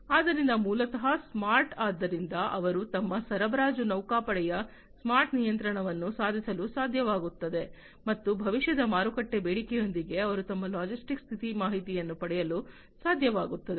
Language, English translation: Kannada, So, basically smart so they are able to achieve smart control of their supply fleet, and also they are able to get the status update of their logistics with future market demand